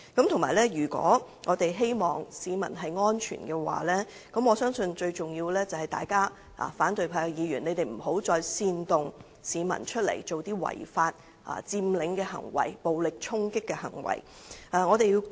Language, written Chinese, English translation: Cantonese, 同時，如果我們希望市民安全，我相信最重要的是，反對派議員不要再煽動市民做違法佔領、暴力衝擊警方的行為。, In the meantime if we want to ensure public safety I believe it is most important thing that opposition Members do not incite the public to take part in illegal occupation and violently attack police officers again